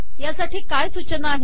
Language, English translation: Marathi, What are the guidelines